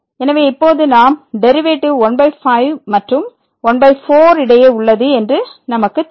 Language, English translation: Tamil, So, now we know that the derivative lies between by and by